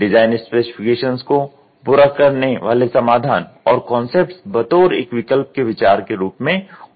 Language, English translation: Hindi, The solutions and concepts that meet the design specifications are generated in the form of idea and are alternatives